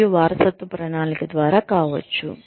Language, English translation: Telugu, And, could be through, succession planning